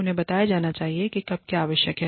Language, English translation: Hindi, They should be told, what is required by, when